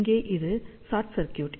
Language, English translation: Tamil, So, here this is short circuit